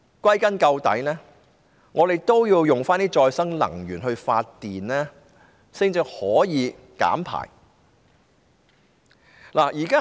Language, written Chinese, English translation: Cantonese, 歸根究底，我們應使用可再生能源來發電，這樣才能減排。, At the end of the day we should use renewable energy to generate electricity . Only by doing so can we reduce emissions